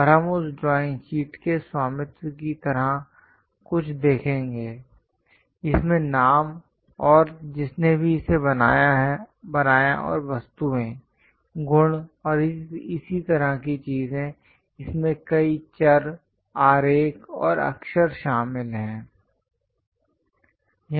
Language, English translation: Hindi, And we will see something like a ownership of that drawing sheet; contains names and whoever so made it and what are the objects, properties, and so on so things; it contains many variables, diagrams, and letters